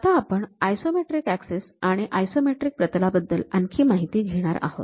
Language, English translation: Marathi, Now, we will look more about isometric axis and isometric planes